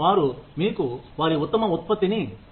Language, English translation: Telugu, They give you their best output